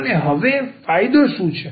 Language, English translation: Gujarati, And, what is the advantage now